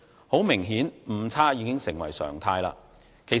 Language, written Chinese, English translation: Cantonese, 很明顯，誤差已經成為常態。, Inaccuracy has obviously become a norm